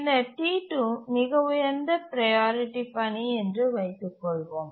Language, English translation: Tamil, Let's assume that task T1 is a high priority task